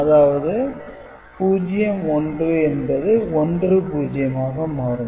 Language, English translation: Tamil, So, this 1 1 is now 1 0, right